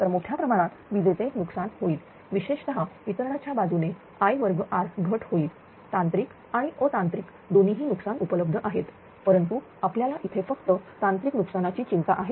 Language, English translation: Marathi, So, there will be heavy power loss particularly the distribution side I square r loss a technical and non technical both losses are available are there right , but our concern here is only that technical losses